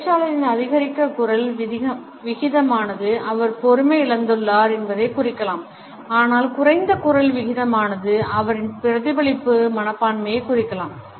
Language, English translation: Tamil, An increased rate of speech can also indicate a hurry or an impatience on the part of the speaker, whereas a decreased rate could also suggest a reflective attitude